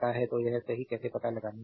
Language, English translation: Hindi, So, how to find it out right